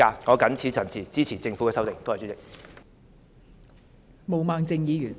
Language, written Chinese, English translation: Cantonese, 我謹此陳辭，支持政府的修正案。, I so submit and support the Governments legislative amendment